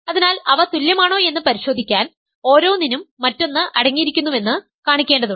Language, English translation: Malayalam, So, to check that they are equal I need to show that one each contains the other